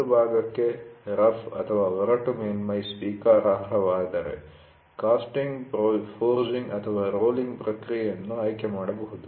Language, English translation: Kannada, If rough surface for a part is acceptable one may choose a casting, forging or rolling process